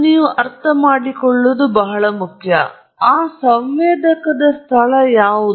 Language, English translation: Kannada, It is very important for you to understand, what is the location of that sensor